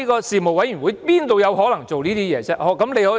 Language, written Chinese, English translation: Cantonese, 事務委員會怎麼可能這樣做呢？, How could a panel operate like a Bills Committee?